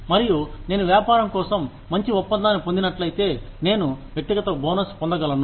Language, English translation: Telugu, And, if I get a good deal for the business, I could get a personal bonus